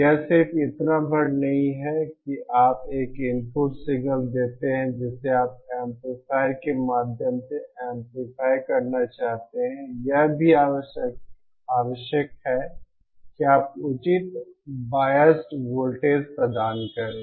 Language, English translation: Hindi, It is not just enough that you input a signal that you want to be amplified through an amplifier it is also necessary that you provide the proper biased voltage